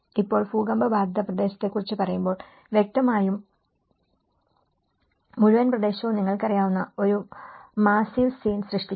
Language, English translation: Malayalam, Now, when you talk about an earthquake affected area, obviously, the whole trouble creates you know, a massive scene